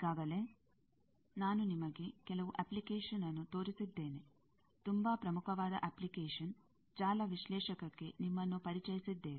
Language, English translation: Kannada, Already, I have shown you some application; a very important application, that we have introduced you to network analyzer